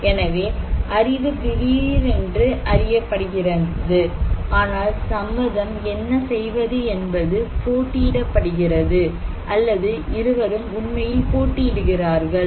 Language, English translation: Tamil, So, knowledge is known sudden but what to do consent is contested or it could be that also both are actually contested